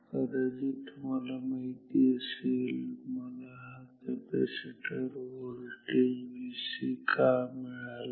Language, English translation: Marathi, Now, you possibly know why I got in V c this is the capacitor voltage V c